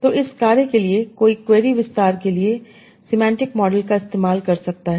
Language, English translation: Hindi, So for this task, one can use distribution system models for query expansion